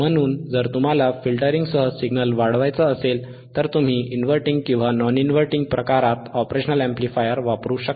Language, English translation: Marathi, So, if you want to amplify the signal along with filtering, you can use the operational amplifier in inverting or non inverting type